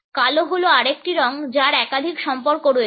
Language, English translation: Bengali, Black is another color which has multiple associations